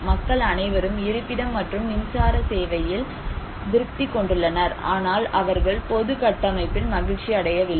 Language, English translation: Tamil, People were very satisfied as per the shelter and electricity, but they were not happy with the public infrastructure